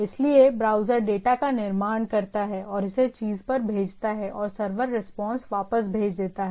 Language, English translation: Hindi, So browser construct the data and send it to the thing and the server response back to the thing